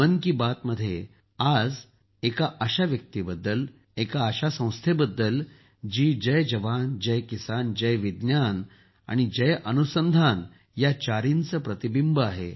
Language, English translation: Marathi, In 'Mann Ki Baat', today's reference is about such a person, about such an organization, which is a reflection of all these four, Jai Jawan, Jai Kisan, Jai Vigyan and Jai Anusandhan